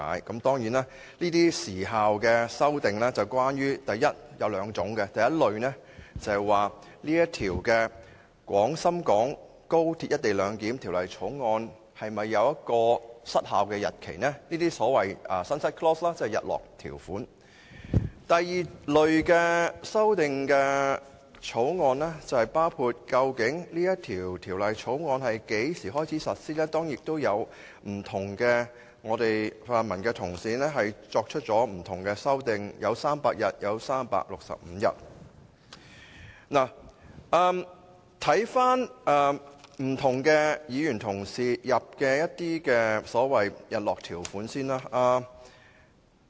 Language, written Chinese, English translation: Cantonese, 這些有關時效的修正案有兩類，第一類是關於《廣深港高鐵條例草案》是否有失效的日期，即所謂日落條款；第二類的修正案包括《條例草案》在何時開始實施，當然，不同的泛民議員提出了不同的修正案，有議員建議300天後實施，亦有議員建議365天後實施。, Those in the first category concern whether the Guangzhou - Shenzhen - Hong Kong Express Rail Link Co - location Bill the Bill should have a so - called sunset clause specifying an expiry date . Those in the second category deal with among other things the commencement date of the Bill . Of course the pan - democratic Members have proposed various amendments with some proposing that the expiry takes effect on the 300 day or 365 day